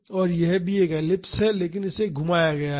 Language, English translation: Hindi, So, this is also an ellipse, but it is rotated